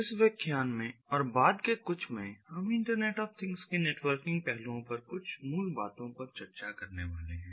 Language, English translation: Hindi, in this lecture and a subsequent few, we are going to go through some of the basics on the networking aspects of internet of things